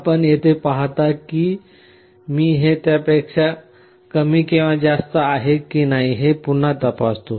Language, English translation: Marathi, You see here also I again make a check whether it is less than or greater than